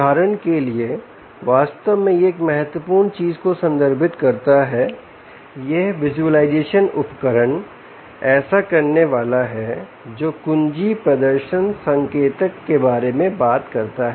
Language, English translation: Hindi, one of the important things actually this refers this visualisation tool is supposed to do is to talk about key performance indicators